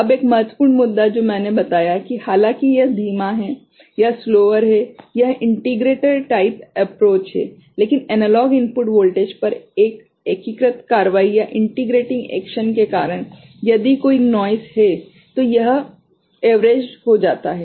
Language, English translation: Hindi, Now, one important issue that I told that though it is slower this integrator type of approach, but because of this integrating action at the analog input voltage ok, if there is any noise or so, that gets averaged out ok